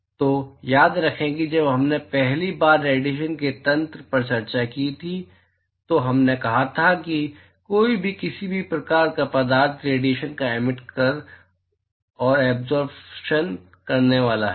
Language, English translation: Hindi, So, remember that, when we first discussed the mechanisms of radiation, we said that, anybody, any form of matter is going to emit and absorb radiation